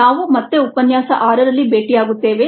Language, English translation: Kannada, we will meet again in lecture six